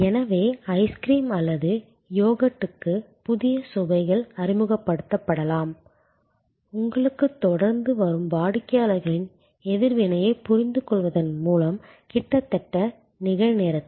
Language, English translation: Tamil, So, new flavors can be introduced for ice cream or yogurt, almost in real time as you understand the customer reaction coming to you continuously